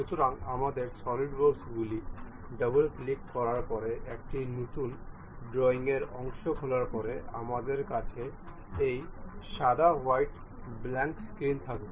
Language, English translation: Bengali, So, after double clicking our Solidworks, opening a new part drawing we will have this white blank screen